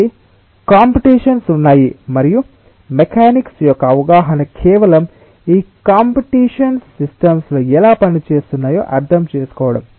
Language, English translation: Telugu, so there are competitions and the understanding of mechanics is just to understand how this competitions are working in a system